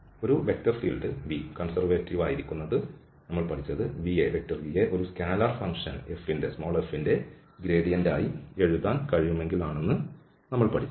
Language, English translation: Malayalam, So a vector field we said to be conservative, if the vector function can be written as a gradient of a scalar field f